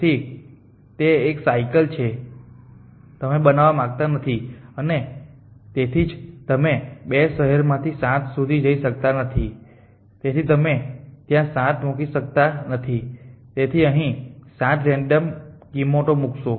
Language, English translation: Gujarati, So, that is so cycle that you do not want to form and for the single reason you we any way you cannot go to 7 from 2 cities so you can put 7 there so you would put 7 random value here